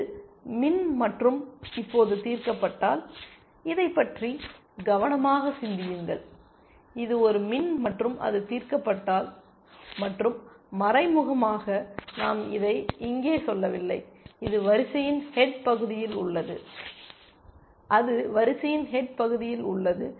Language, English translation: Tamil, If it is min and solved now, just think carefully about this, if it is a min node and it is solved and implicitly we are not saying this here, it is at the head of the queue, it is at the head of the queue